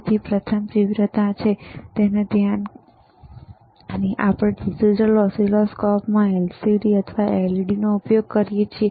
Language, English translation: Gujarati, So, first is the intensity and focus right, because in that we have we are using in digital oscilloscope either LCD or LED